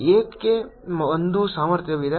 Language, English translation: Kannada, why is there a potential